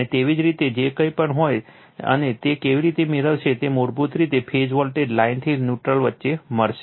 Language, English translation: Gujarati, And whatever in your and how it will get that is basically phase voltage line to neutral right